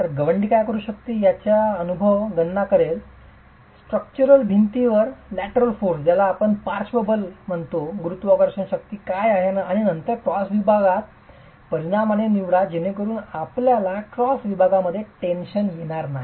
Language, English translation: Marathi, So, a Mason would make an empirical calculation of what could be the lateral forces coming onto the structural wall, what's the gravity force and then dimension the cross section such that you don't have tension in the cross section